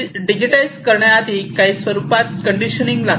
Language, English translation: Marathi, So, before you digitize you need to do some kind of conditioning